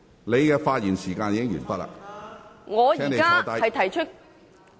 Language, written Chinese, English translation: Cantonese, 你的發言時間已經完結，請坐下。, Your speaking time is up . Please sit down